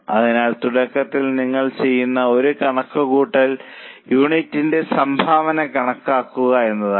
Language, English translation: Malayalam, So, one calculation you will do in the beginning is compute the contribution per unit